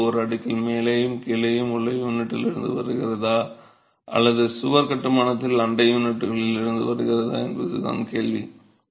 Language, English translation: Tamil, Your question is whether this confinement is coming from the unit above and below in a stack or from the neighboring units in a wall construction